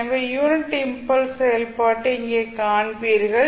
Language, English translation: Tamil, So, you will see the unit impulse function here